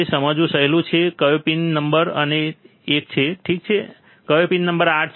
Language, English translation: Gujarati, It is easy to understand which is pin number one, alright and which is pin number 8